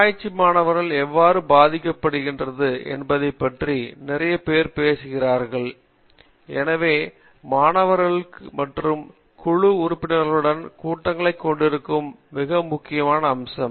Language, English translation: Tamil, I think the lot of people talk about you know there is the atmosphere in the group and how it impacts the research student and therefore, the meetings that students has with his other group members and the meetings that he or she has with the guide is a very important aspect